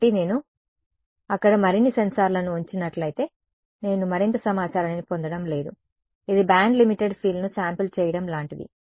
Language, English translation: Telugu, So, it is if I put more sensors over there, I am not going to get more information; it is like over sampling a band limited field